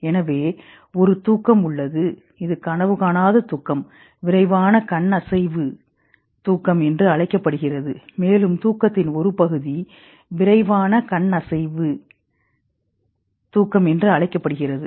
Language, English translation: Tamil, So there is a sleep which is a non dreaming sleep called non rapid eye movement sleep and there is a part of sleep called rapid eye movement sleep